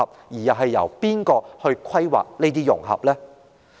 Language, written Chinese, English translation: Cantonese, 又是由誰來規劃這些融合呢？, And who is in charge of the integration planning after all?